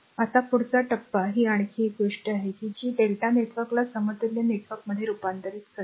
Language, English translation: Marathi, Now, next stage your another thing that convert delta network to an equivalent star network